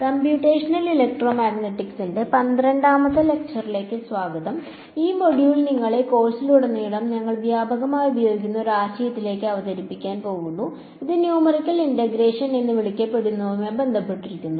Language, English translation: Malayalam, Alright so, this module is going to introduce you to a concept which we will use extensively throughout the course and that is dealing with what is called Numerical Integration